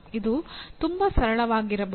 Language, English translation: Kannada, It can be very simple